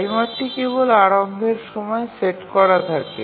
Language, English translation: Bengali, The timer is set only at the initialization time